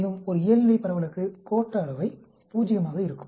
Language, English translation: Tamil, And for a normal distribution the skewness will be Zero